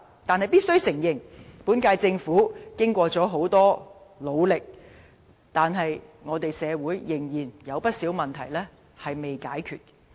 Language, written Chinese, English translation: Cantonese, 但必須承認，雖然本屆政府已非常努力，但社會仍然有不少問題未解決。, We simply should not forget this . However we must confess that despite the Governments best endeavours there are many problems remain unresolved in society